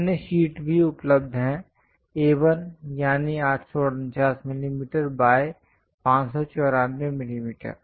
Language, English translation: Hindi, There are other sheets are also available A1 849 millimeters by 594 millimeters